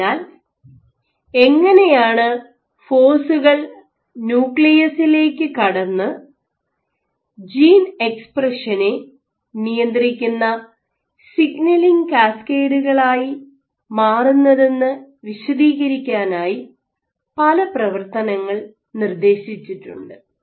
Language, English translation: Malayalam, So, there are various mechanisms which have been proposed as to how forces transmitted to the nucleus, might lead to a signaling cascade controlling gene expression ok